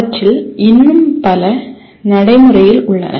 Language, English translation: Tamil, Even many of them are still are practiced